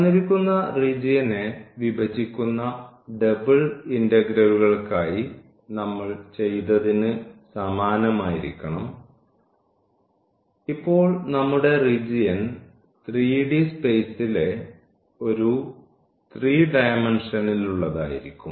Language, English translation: Malayalam, So, we need to similar to what we have done for the double integrals we divide the given region so now, our region will be a 3 dimensional in the 3 dimensional space